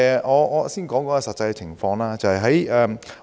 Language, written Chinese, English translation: Cantonese, 我先講解一下實際情況。, Let me first explain the actual situation